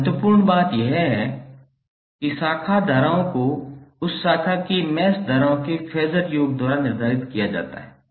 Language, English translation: Hindi, And the important thing is that branch currents are determined by taking the phasor sum of mesh currents common to that branch